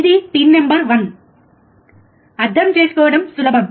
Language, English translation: Telugu, This is pin number one, it is easy to understand